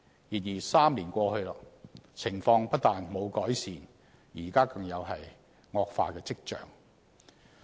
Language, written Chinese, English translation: Cantonese, 然而 ，3 年過去，情況不但沒有改善，現在更有惡化跡象。, But three years have passed the situation has not improved and there are even signs of worsening